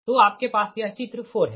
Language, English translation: Hindi, so this is the figure three